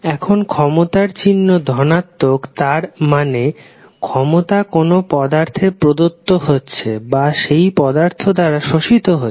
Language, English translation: Bengali, Now, the power has positive sign it means that power is being delivered to or absorbed by the element